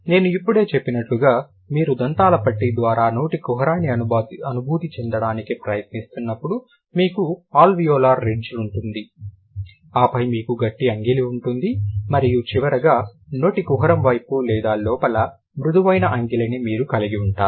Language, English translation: Telugu, As I just mentioned, if you like when you are trying to feel the mouth cavity after the teeth ridge, you have alveolar ridge and then you have the HUD palette and finally towards like towards the mouth cavity right inside you will have the soft palate